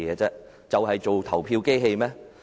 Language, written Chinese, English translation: Cantonese, 是做投票機器嗎？, Are they supposed to be voting machines?